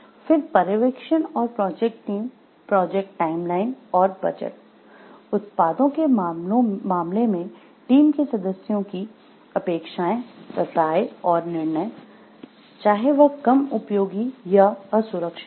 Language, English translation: Hindi, Then supervision and project teams, project timelines and budgets, expectations, opinions and judgments of the team members in terms of products, whether it is unsafe for less than useful